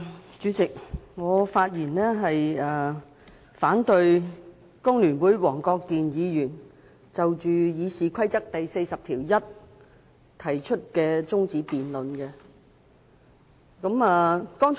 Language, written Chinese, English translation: Cantonese, 代理主席，我發言反對工聯會黃國健議員根據《議事規則》第401條提出的辯論中止待續議案。, Deputy President I speak against the motion moved by Mr WONG Kwok - kin from the Hong Kong Federation of Trade Unions FTU under Rule 401 of the Rules of Procedure to adjourn the debate